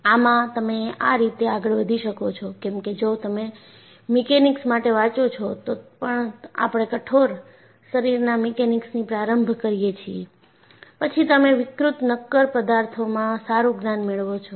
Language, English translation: Gujarati, See, this is how you can proceed, because even if you read mechanics, you start from rigid body mechanics, then, you graduate to deformable solids